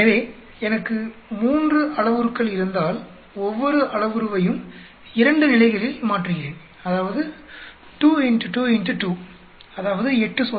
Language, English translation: Tamil, So, if I have 3 parameters and I am changing each parameter in 2 levels; that means, 2 into 2 into 2 that is 8 experiments